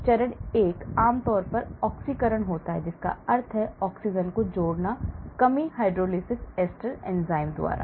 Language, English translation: Hindi, Phase 1 generally is oxidation that means add of O, reduction, hydrolysis by esterases enzymes